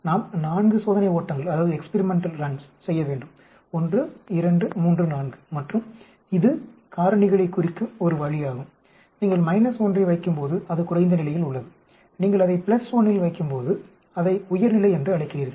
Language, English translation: Tamil, We need to do 4 experiments run 1, 2, 3, 4 and this is one way of representing them factor a, when you put minus 1 that is at low level, when you put it at plus 1 you call it high level